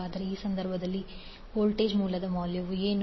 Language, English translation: Kannada, So what will be the value of voltage source in that case